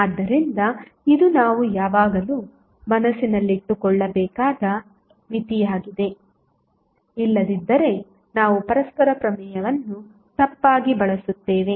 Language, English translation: Kannada, So, this is the limitation which we have to always keep in mind otherwise, we will use reciprocity theorem wrongly